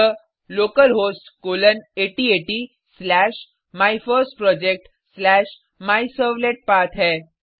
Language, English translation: Hindi, It is localhost colon 8080 slash MyFirstProject slash MyServletPath